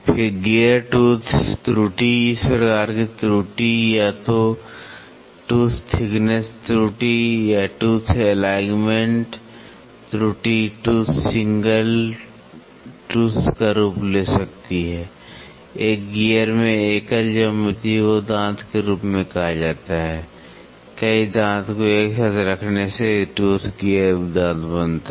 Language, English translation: Hindi, Then gear tooth error, this type of error can take the form of either tooth thickness error or tooth alignment error, tooth single teeth, the single geometry in a gear is called as the tooth several tooth put together makes a teeth gear teeth